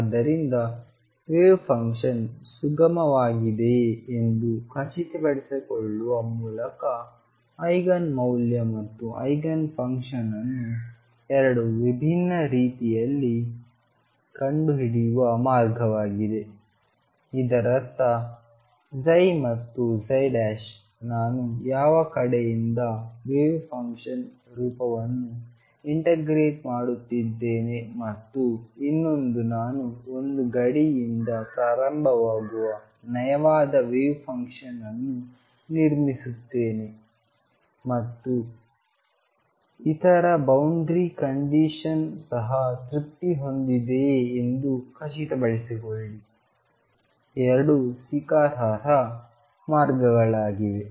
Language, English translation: Kannada, So, this the way to find Eigen value and the eigenfunction in 2 different ways one by making sure that the wave function is smooth all over; that means, psi and psi prime are the same no matter which side I integrate the wave function form and the other I build us smooth wave function starting from one boundary and make sure that the other boundary condition is also satisfied both are acceptable ways